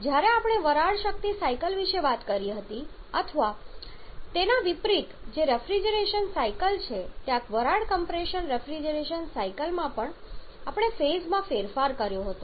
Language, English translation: Gujarati, Whereas when he talked about the vapour power cycles or the reverse of that one that is the refrigeration cycles the vapour compression refrigeration cycles there we had change of phase